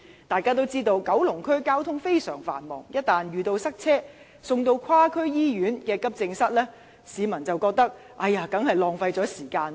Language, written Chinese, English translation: Cantonese, 大家也知道，九龍區的交通非常繁忙，一旦遇到塞車，市民被送至跨區醫院的急症室，一定會認為是浪費時間。, Traffic in Kowloon is known to be extremely busy . In case of traffic congestion people would think it is a waste of time if they were sent to the AE department of a hospital in another district